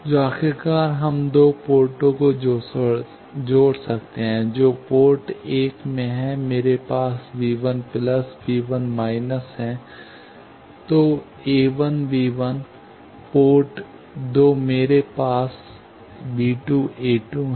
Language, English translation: Hindi, So, finally, we can combine the two ports that, in the port one, I have V 1 plus V 1 minus; so a 1 V 1; in the port two, I have b 2 a 2